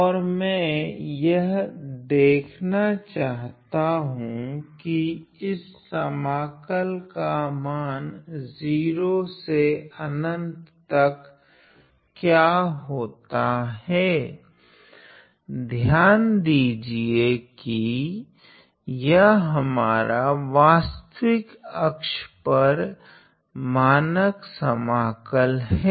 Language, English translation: Hindi, And I want to see what is the value of this integral from 0 to infinity, notice that this integral is our standard integral which is over the real axis